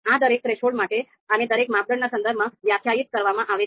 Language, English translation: Gujarati, So this is to be defined for each threshold and with respect to each criterion